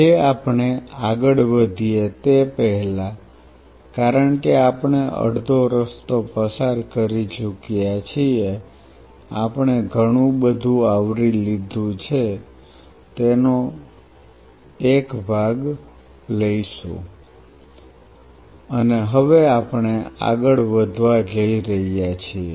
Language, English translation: Gujarati, Today before we proceed further since we are halfway through we will just take a stock of what all we have covered and how we are going to proceed further